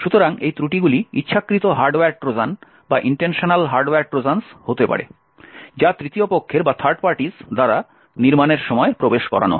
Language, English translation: Bengali, these flaws could be intentional hardware Trojans that are inserted at the time of manufacture by third parties